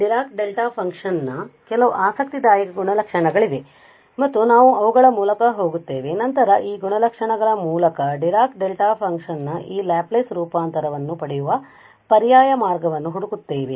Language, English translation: Kannada, There are some interesting properties of this Dirac Delta function and we will go through them and we will look an alternative way of getting this Laplace transform of Dirac Delta function through these properties